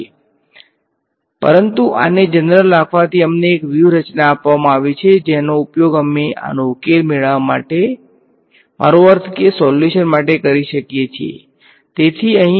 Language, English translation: Gujarati, So, but this keeping it general has given us a strategy that we can use to formulate I mean to get the solution to this